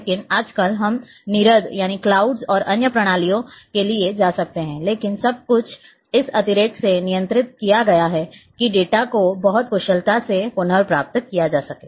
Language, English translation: Hindi, But may be nowadays we go for clouds and other systems so, but a everything is controlled in a manner the data can be retrieved very efficiently